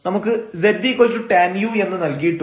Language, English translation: Malayalam, So, we have z is equal to tan u